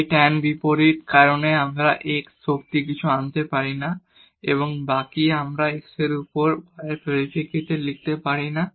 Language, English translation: Bengali, Because of this tan inverse we cannot bring x power something and the rest we cannot write in terms of y over x